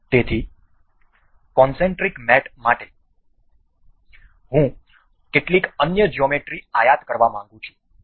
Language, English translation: Gujarati, So, for concentric mate I would like to import some other geometry